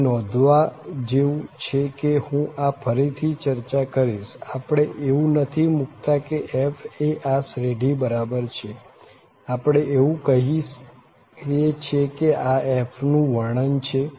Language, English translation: Gujarati, What one should note here that, I will discuss this again, we are not putting that f is equal to this series here, we are just telling that this is a representation of the f